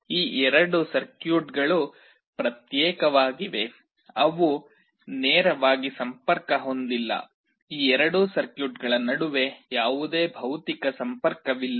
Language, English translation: Kannada, These two circuits are isolated, they are not directly connected; there is no physical connection between these two circuits